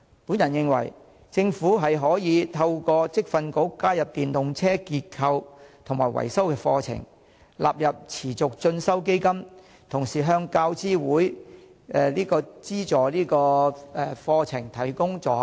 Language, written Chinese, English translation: Cantonese, 我認為，政府可透過在職業訓練局加入電動車結構及維修課程，並將之納入持續進修基金，同時向大學教育資助委員會資助相關的課程提供助學金。, I suggest the Government introduce courses on the structure and maintenance of EVs through the Vocational Training Council and include them in the Reimbursable Course List under the Continuing Education Fund . At the same time grants should be provided to the relevant courses subsidized by the University Grants Committee